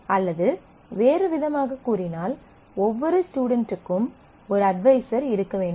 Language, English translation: Tamil, Or in other words every student must have an advisor